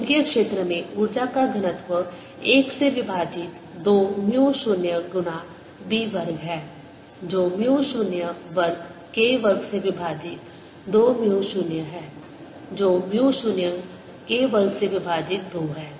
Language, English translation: Hindi, energy density in the magnetic field is one over two mu zero times b square, which is going to be mu zero square, k square over two, mu zero, which is mu zero, k square by two